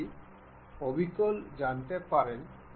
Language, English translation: Bengali, You can see the axis of both of these